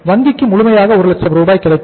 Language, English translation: Tamil, Bank would get entire 1 lakh rupees